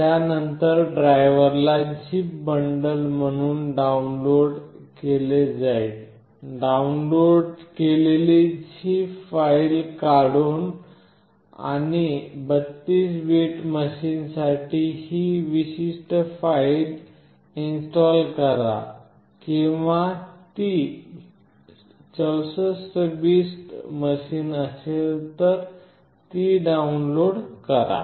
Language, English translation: Marathi, Then the driver will be downloaded as a zip bundle, extract the downloaded zip file and install this particular file for 32 bit machine, or if it is 64 bit machine then download this one